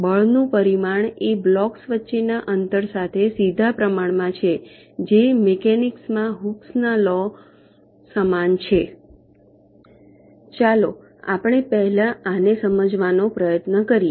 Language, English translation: Gujarati, magnitude of the force is directly proportional to the distance between the blocks, which is analogous to hookes law in mechanics